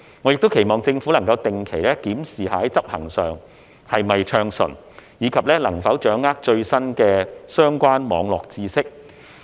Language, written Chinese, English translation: Cantonese, 我亦期望政府能定期檢視在執行上是否順暢，以及能否掌握最新的相關網絡知識。, I also hope that the Government regularly examines whether the implementation is smooth and whether it is able to master the latest cyber knowledge in this regard